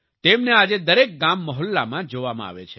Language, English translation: Gujarati, Today they can be seen in every village and locality